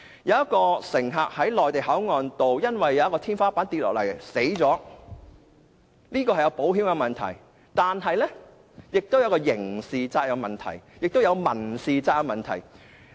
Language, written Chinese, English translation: Cantonese, 有一名乘客在內地口岸因為天花下塌而死亡，這是一個保險的問題，但也涉及刑事責任和民事責任的問題，共分為3個問題。, Let us suppose that the ceiling of the Mainland Port Area caved in and a passenger was killed as a result . This case of course involves insurance but it also involves criminal responsibility and tort . There are altogether three issues in focus